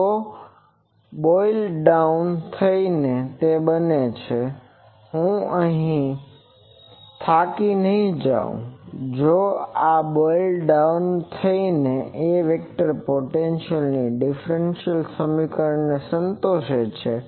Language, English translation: Gujarati, So, this boils down to that I would not go these boils down to that vector potential satisfies this differential equation